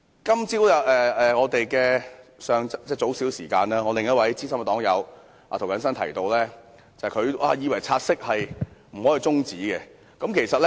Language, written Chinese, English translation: Cantonese, 今天較早時間，我的另一位資深黨友涂謹申議員表示，以為不可以就"察悉議案"提出中止待續。, Earlier today Mr James TO another senior party comrade of mine opined that it was not possible to move motion to adjourn the take - note motion